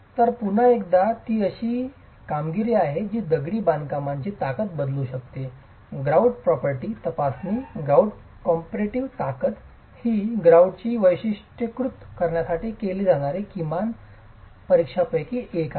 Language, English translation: Marathi, So, again, since it's a property that can alter the strength of masonry, a check on the grout property, grout compressive strength is one of the minimum tests that is carried out to characterize the grout itself